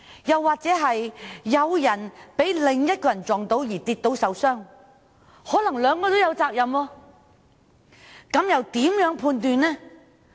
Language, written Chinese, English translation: Cantonese, 又或當一個人因被另一人碰撞而跌倒受傷，可能雙方也有責任，那該如何判斷呢？, Or when two persons bump against each other and one of them gets hurt how should we make the judgment? . After all both of them may be responsible for this